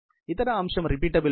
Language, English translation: Telugu, The other aspect is repeatability